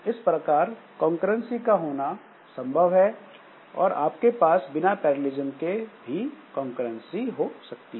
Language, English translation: Hindi, So, it is possible to have concurrency without parallelism